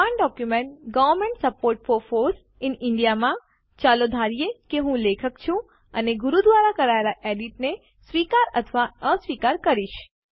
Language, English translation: Gujarati, In the same document, Government support for FOSS in India.odt, lets assume I am the author and will accept or reject the edits made by Guru